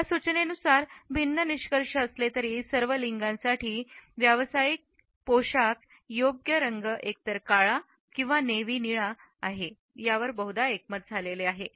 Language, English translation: Marathi, Different findings are almost unanimous in this suggestion that the appropriate color for the professional attires for all genders is either black or navy blue